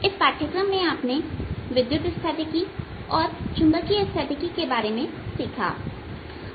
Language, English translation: Hindi, you have learnt in this course about electrostatics, about magnitude statics